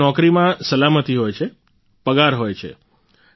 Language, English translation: Gujarati, There is security in the job, there is salary